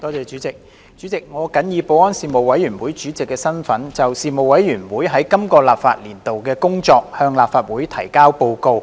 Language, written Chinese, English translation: Cantonese, 主席，我謹以保安事務委員會主席的身份，就事務委員會在今個立法年度的工作向立法會提交報告。, President in my capacity as Chairman of the Panel on Security the Panel I submit to the Legislative Council the report on the work of the Panel in this legislative session